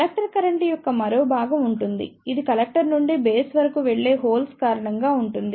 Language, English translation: Telugu, There will be one more component of collector current which will be due to the holes passing from collector to the base